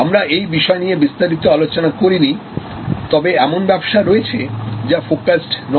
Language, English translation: Bengali, We did not discuss it in that detail, but there are businesses which are unfocused